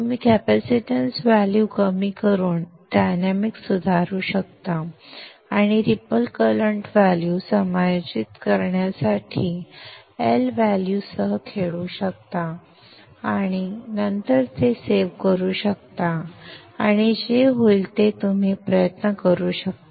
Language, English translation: Marathi, You can improve the dynamics by reducing the capacitance value and also play around with the L value to adjust the ripple current value and then save it then you can try what happens